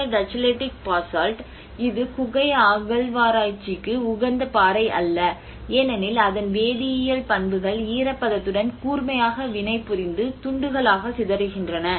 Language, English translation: Tamil, \ \ \ And this Tacheletic Basalt which is not a conducive rock for cave excavation as its chemical properties react sharply with moisture and disintegrate into pieces